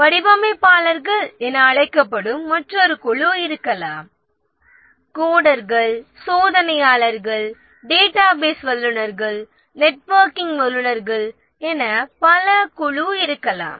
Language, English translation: Tamil, There may be another group called as designers, another group as coders, testers, database experts, networking experts, and so on